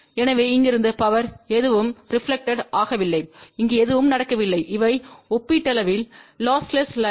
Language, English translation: Tamil, So, power from here nothing is reflected nothing is going over here and these are relatively lossless line